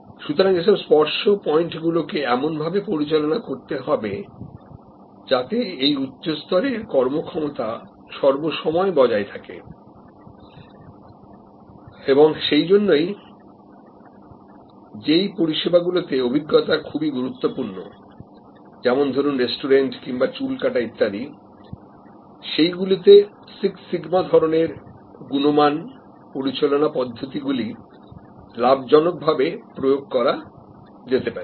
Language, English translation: Bengali, So, all the touch points need to be managed continuously for that level of high performance that is why for example, experience heavy services, like restaurants or haircuts and so on quality management techniques likes six sigma can be quiet gainfully applied